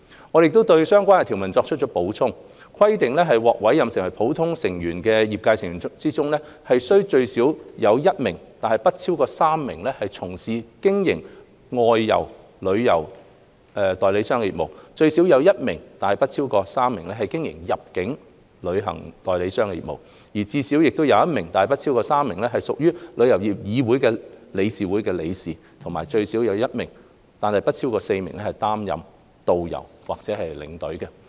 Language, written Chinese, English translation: Cantonese, 我們亦對相關條文作出了補充，規定獲委任為普通成員的業界成員中，須最少有1名但不超過3名從事經營外遊旅行代理商業務；最少有1名但不超過3名經營入境旅行代理商業務；最少有1名但不超過3名屬香港旅遊業議會理事會的理事；以及最少有1名但不超過4名擔任導遊或領隊。, We have also proposed to add in the provisions stipulating that among the trade members who are appointed as ordinary members at least one but not more than 3 are engaged in the outbound travel agent business; at least one but not more than 3 are engaged in the inbound travel agent business; at least one but not more than 3 are members of the Board of Directors of the Travel Industry Council of Hong Kong TIC; and at least one but not more than 4 work as tourist guides or tour escorts